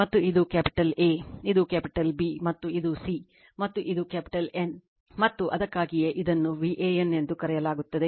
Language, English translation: Kannada, And this is your capital A say, this is capital B, and this is C, and this is capital N right, and that is why this is this is called v AN